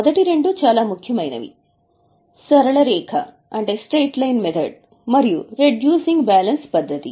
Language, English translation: Telugu, The first two are very important, the straight line and reducing balance